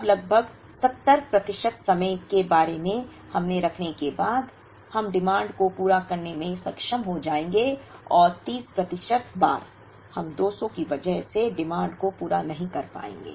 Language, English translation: Hindi, Now, about keep this roughly about 70 percent of the times, we will be able to meet the demand and 30 percent of the times, we will not be able to meet the demand because of 200